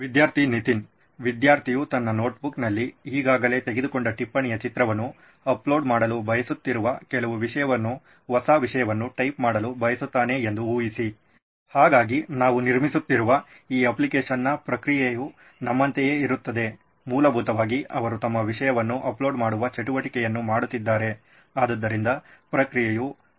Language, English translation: Kannada, Imagine the student wants to type some content, new content versus he would want to upload a image of note that he has already taken in his notebook, so the process in this application that we are building be the same to our, essentially he is doing the same activity which is uploading his content, so would the process be the same